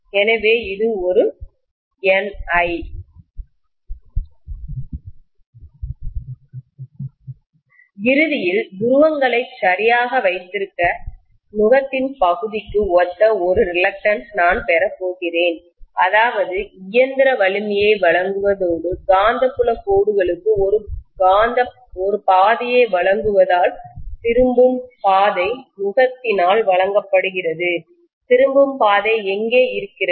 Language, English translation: Tamil, And ultimately, I am going to have one more reluctance which is corresponding to the yoke portion, this portion is normally known as yoke which holds the poles properly in place, that is to provide mechanical strength and also to provide a path for the magnetic field lines because the return path is provided by the yoke, here is where the return path is